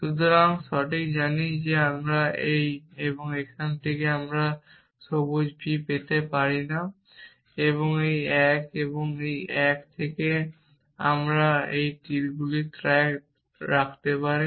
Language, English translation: Bengali, So, is that correct know and then from this and this I can get not green b and from this one and this one if you can keep track of arrows I can get green b and from this and this